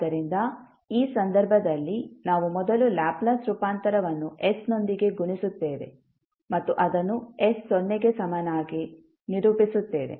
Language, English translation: Kannada, So, in this case we will first multiply the Laplace transform with s and equate it for s is equal to 0